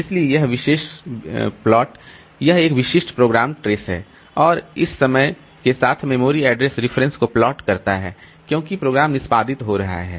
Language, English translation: Hindi, So, this particular plot, it is a typical program trace and it plots the memory address references over time as the program is executing